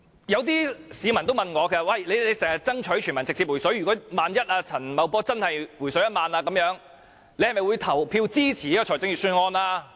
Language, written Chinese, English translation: Cantonese, 有些市民問我說，你們經常爭取全民直接"回水"，萬一陳茂波真的"回水 "1 萬元，你是否會投票支持預算案？, Some people ask me You people always strive for a direct refund of cash to all people in case Paul CHAN really offers a refund of 10,000 will you vote for the Appropriation Bill? . My answer is in the negative